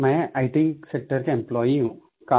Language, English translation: Hindi, I am an employee of the IT sector